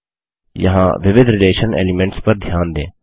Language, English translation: Hindi, Notice the various relation elements here